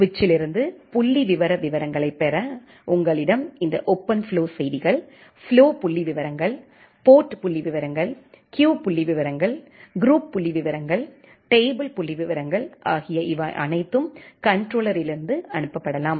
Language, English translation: Tamil, To get the statistic details from the switch, you have this OpenFlow messages like flow stats, port stats, queue stats, group stats, table stats, all these things that can be sent from the controller